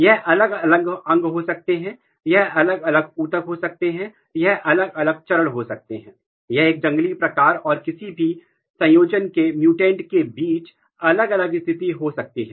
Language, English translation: Hindi, It can be different organs, it can be different tissues, it can be different stages, it can be different conditions between a wild type and mutants any combination